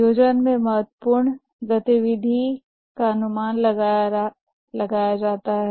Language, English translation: Hindi, In the planning, the important activity is estimating